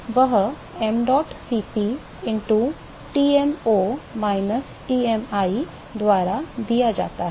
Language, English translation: Hindi, So, that is given by mdot Cp into Tmo minus Tmi